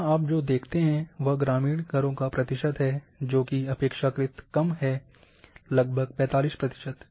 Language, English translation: Hindi, Here what you see that is a percentage of rural houses are relatively much less, it is about 45 percent